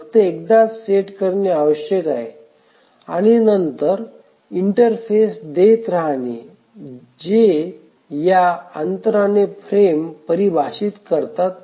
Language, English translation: Marathi, So, it needs to be set only once and then keeps on giving interrupts at this interval defining the frames